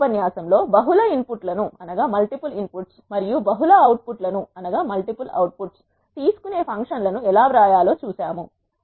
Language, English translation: Telugu, In this lecture we have seen how to write functions which takes multiple inputs and multiple outputs